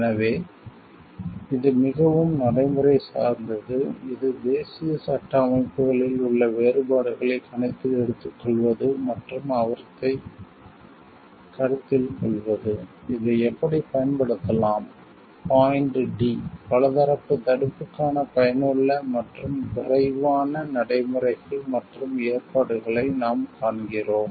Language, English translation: Tamil, So, this is more practical oriented which takes into account the differences which are there in the national legal systems and taking those into consideration; how this can be applied point d; what we find the provision and of effective and expeditious procedures for the multilateral prevention